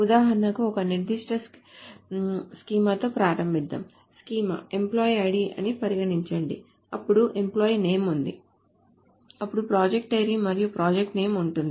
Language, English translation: Telugu, Let us say the schema is employee ID, then there is an employee name, then there is a project ID and a project name